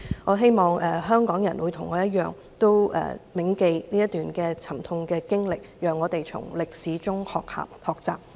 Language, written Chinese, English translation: Cantonese, 我希望香港人與我一樣，銘記這段沉痛的經歷，讓我們從歷史中學習。, I hope that Hong Kong people like me will remember this painful experience and let us learn from history